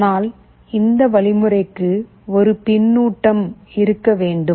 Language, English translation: Tamil, But, for that mechanism there has to be a feedback in place